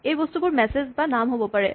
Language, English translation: Assamese, These things could be either messages or names